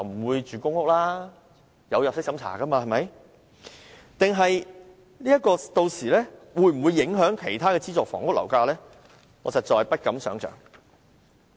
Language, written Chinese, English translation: Cantonese, 還有，"綠置居"屆時會否影響其他資助房屋的樓價？我實在不敢想象。, And I dare not imagine the impact GHS will bring forth if any on the prices of other subsidized housing by then